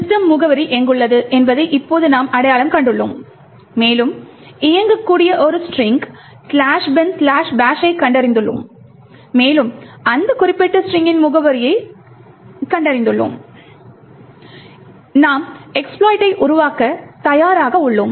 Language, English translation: Tamil, Now that we have identified where the address of system is present and also, we have found a string in the executable which contains slash bin slash bash and we found the address of that particular string, we are ready to build our exploit